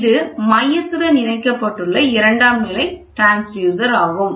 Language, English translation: Tamil, So, this is a secondary transducer which is connected to the center